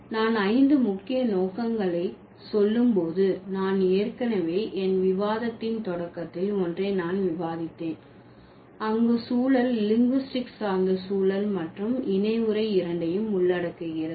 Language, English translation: Tamil, And when I say five major scopes, I have already discussed one of them in the beginning of my discussion, which is context, where the context includes both the linguistic context and then the codex